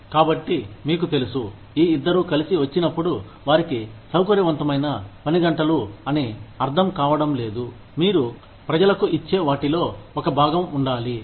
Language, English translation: Telugu, So, you know, when we, when these two come together, they do not understand, that flexible working hours are, have to be a part of, what you give to people